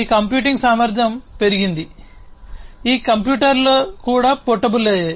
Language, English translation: Telugu, So, this computing capacity has increased and these computers have also became become portable